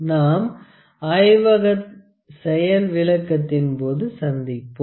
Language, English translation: Tamil, Let us meet in the next part of the lab demonstration